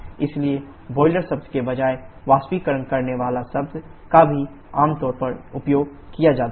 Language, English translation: Hindi, So instead of the term boiler, the term evaporator is also commonly used